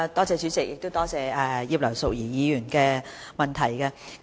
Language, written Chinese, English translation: Cantonese, 主席，感謝葉劉淑儀議員的補充質詢。, President I thank Mrs Regina IP for her supplementary question